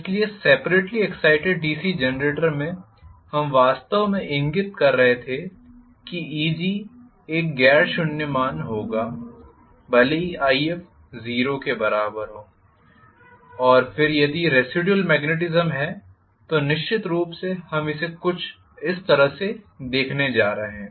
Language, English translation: Hindi, So, let me again redraw the OCC, so in separately excited DC Generator we were actually pointing out that Eg will be having a non zero value even with if equal to 0 and then we are if there is residual magnetism, of course, and then we are going to have it somewhat like this